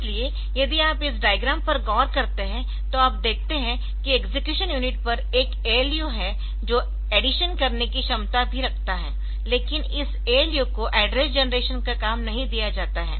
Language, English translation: Hindi, So, you see that you look into this diagram you see there is one ALU on the execution unit which does which also has the capability to do addition, but this ALU is not given the task of generating the address